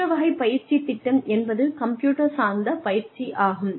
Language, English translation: Tamil, The other type of training program is, computer based training